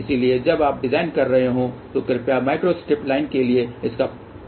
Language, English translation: Hindi, So, please use that when you are designing something for microstrip line